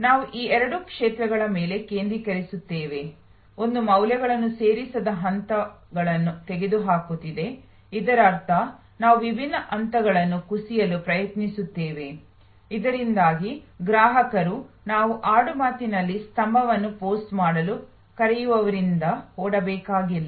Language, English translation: Kannada, We focus on these two areas, one is eliminating a non value adding steps; that means, we try to collapse different stages, so that the customer does not have to run from what we colloquially call pillar to post